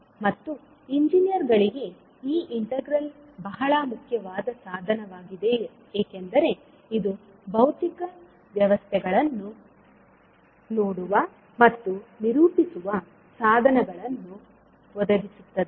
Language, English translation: Kannada, And this particular integral is very important tool for the engineers because it provides the means of viewing and characterising the physical systems